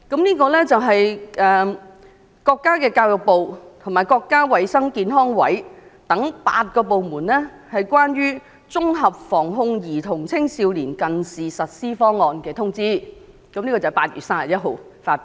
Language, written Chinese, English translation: Cantonese, 原來這是國家教育部和國家衞生健康委員會等8個部門關於"綜合防控兒童青少年近視實施方案"的通知，在今年8月31日發表。, Well it is the Notice on Integrated Prevention and Control Programme Against Myopia in Children and Young People published by eight departments like the Ministry of Education and the National Health Commission on 31 August this year